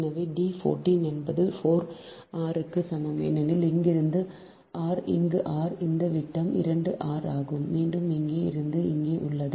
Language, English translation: Tamil, so d one four is equal to four r, because from here to here r, this diameter is two r and again, here to here is r